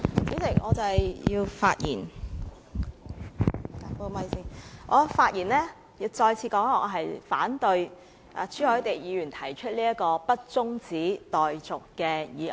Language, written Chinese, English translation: Cantonese, 主席，我發言是要再次指出，我反對朱凱廸議員提出不中止待續的議案。, President I speak to point out again that I oppose Mr CHU Hoi - dicks motion that the debate be not adjourned